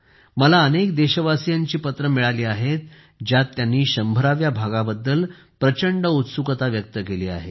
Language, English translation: Marathi, I have received letters from many countrymen, in which they have expressed great inquisitiveness about the 100th episode